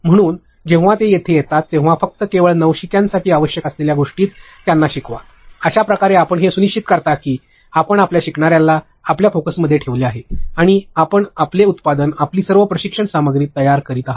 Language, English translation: Marathi, So, when they are just coming in you teach them only what is required for beginners, that is how you make sure that you kept your learner in your focus and you are creating your product, all your training material whatever you refer to that